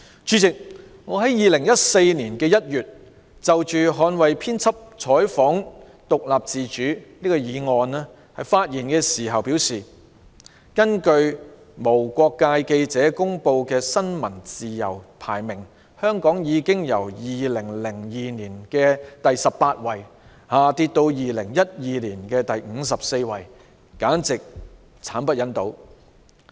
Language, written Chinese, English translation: Cantonese, 主席，我在2014年1月就"捍衞編輯採訪獨立自主"議案發言時表示，"根據無國界記者公布的新聞自由排名，香港已由2002年的第十八位下跌至2012年的第五十四位，簡直是慘不忍睹。, President in January 2014 when I delivered my speech on the motion on Safeguarding editorial independence and autonomy I said The World Press Freedom Index released by Reporters without Borders reveals that Hong Kongs ranking has dropped from the 18 in 2002 to the 54 in 2012 . This is horrible